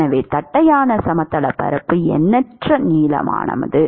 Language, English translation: Tamil, So, the other plane is infinitely long